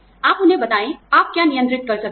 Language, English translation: Hindi, You let them know, what you can control